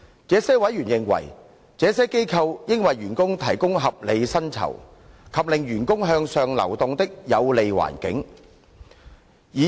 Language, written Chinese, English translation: Cantonese, 這些委員認為，這些機構應為員工提供合理薪酬，以及令員工向上流動的有利環境。, Some members opined that these NGOs should offer the staff with reasonable remuneration and foster an environment for staffs upward mobility